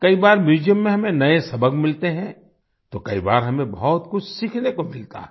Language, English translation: Hindi, Sometimes we get new lessons in museums… sometimes we get to learn a lot